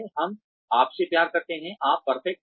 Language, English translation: Hindi, We love you, you are perfect